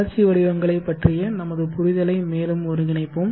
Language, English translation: Tamil, Let us further consolidate our understanding of the growth profiles